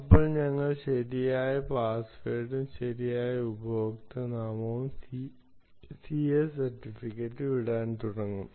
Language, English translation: Malayalam, ah, now we will start putting the right password, the right username and the ah c